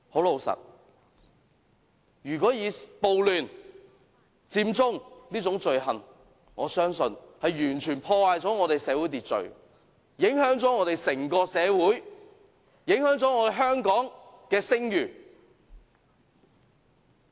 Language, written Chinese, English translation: Cantonese, 老實說，我相信暴亂、佔中這種罪行完全破壞了社會秩序，影響了整個社會，影響了香港的聲譽。, Honestly I think that acts like riots and Occupy Central have ruined our social order completely affecting society as a whole and the reputation of Hong Kong